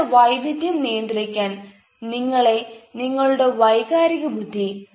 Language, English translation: Malayalam, so that is where emotional intelligence helps in managing diversity and going further